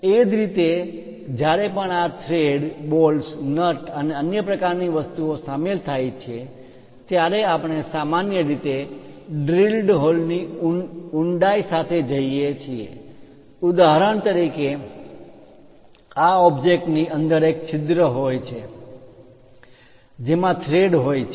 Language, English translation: Gujarati, Similarly whenever these threads bolts nuts and other kind of things are involved, we usually go with depth of the drilled hole for example, for this object inside there is a hole in which you have a thread